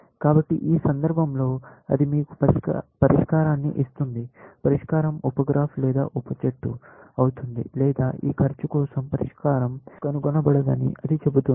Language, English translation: Telugu, So, in which case, either, it will give you a solution; solution would be a sub graph or a sub tree, or it will say that we cannot find the solution of this cost